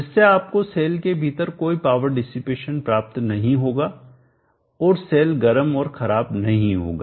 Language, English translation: Hindi, Thereby you will not have any power dissipation within the cell and the cell would not get hot and detariate